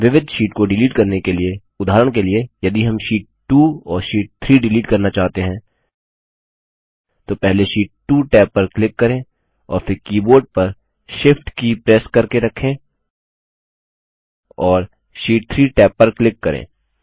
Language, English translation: Hindi, In order to delete multiple sheets, for example, if we want to delete Sheet 2 and Sheet 3 then click on the Sheet 2 tab first and then holding the Shift button on the keyboard, click on the Sheet 3tab